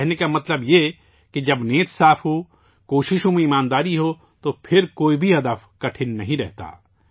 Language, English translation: Urdu, What I mean to say is that when the intention is noble, there is honesty in the efforts, no goal remains insurmountable